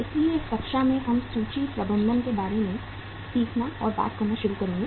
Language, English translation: Hindi, So in this class we will start learning and talking about the inventory management